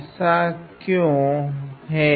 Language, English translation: Hindi, Why is that